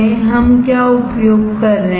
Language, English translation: Hindi, What we are using